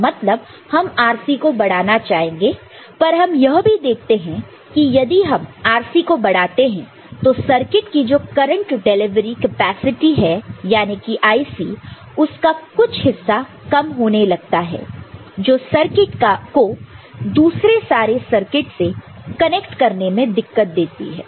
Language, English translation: Hindi, We shall we would like to have increase in R, but again we shall see later, if we increase RC then the circuits current delivery capacity the IC part of it gets reduced which actually makes it difficult for the circuit to get connected to many other circuits that particular thing also, we shall see today ok